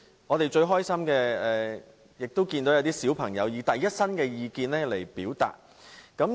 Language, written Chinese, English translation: Cantonese, 我們最開心的是看到一些小朋友以第一身的角度表達意見。, We are most delighted to see that some children expressed their opinions from the first - person angle